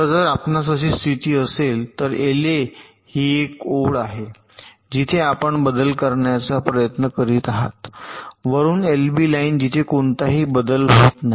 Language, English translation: Marathi, so if you have a condition like this, l a is the line where your trying to make the change, minus l b, the line where this no change